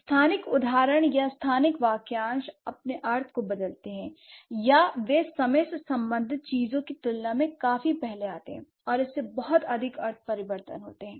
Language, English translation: Hindi, So, so spatial instances or the spatial phrases they change their meaning or they come to the children quite earlier than the time related ones and that triggers a lot of semantic changes